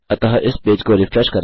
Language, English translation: Hindi, So lets refresh this page